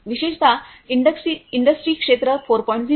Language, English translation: Marathi, Particularly in the area of Industry 4